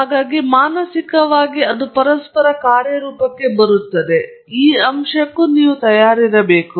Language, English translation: Kannada, So, you have to mentally prepared for the fact that it is interactive